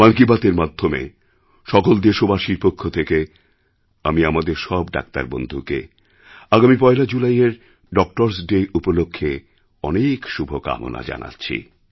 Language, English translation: Bengali, Through Mann Ki Baat I extend my warmest felicitations on behalf of the countrymen to all our doctors, ahead of Doctor's Day on the 1st of July